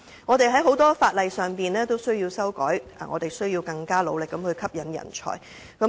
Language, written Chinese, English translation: Cantonese, 我們有很多法例需要修改，也需要更努力地吸引人才。, We need to make amendments to many laws and we also need to work harder to attract talents